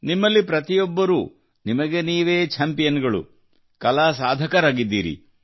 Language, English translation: Kannada, Each one of you, in your own right is a champion, an art seeker